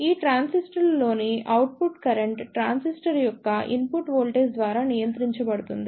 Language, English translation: Telugu, The output current in this transistors is controlled by the input voltage of the transistor